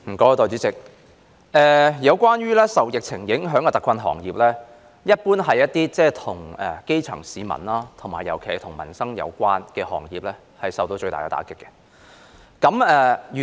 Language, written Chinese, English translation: Cantonese, 代理主席，受疫情影響的特困行業，一般是那些與基層市民有關的行業，尤其涉及民生的，他們受到最大打擊。, Deputy President the hard - hit industries affected by the epidemic are in general those related to the grass roots . In particular those involving peoples livelihood have been hit most seriously